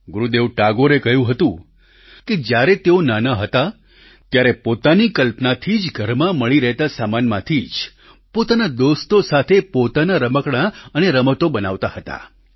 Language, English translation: Gujarati, Gurudev Tagore had said that during his childhood, he used to make his own toys and games with his friends, with materials available at home, using his own imagination